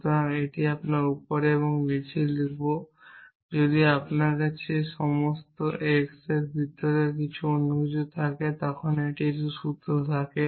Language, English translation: Bengali, So, I will write it as top and bottom if you have a formula of the kind for all x and anything else inside this, but which contains an x essentially